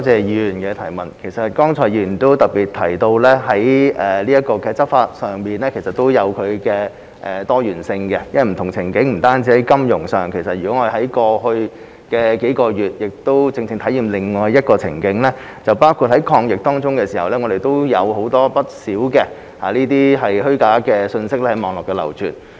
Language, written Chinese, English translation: Cantonese, 議員剛才也特別提到，在執法上也是有多元性的，因為這問題也在不同的情境下出現，不單在金融方面，例如過去數月便正正是另一個情境，也就是在抗疫期間，我們亦看到不少虛假信息在網絡上流傳。, Just now the Member mentioned in particular that there is also plurality in law enforcement because this problem can emerge in different scenarios . It happens not only on the financial front . For instance the past few months were exactly another scenario as we also saw quite a large amount of false information spreading online during our fight against the epidemic